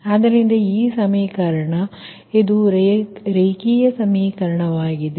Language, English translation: Kannada, so this equation, this is a linear, linear equation, right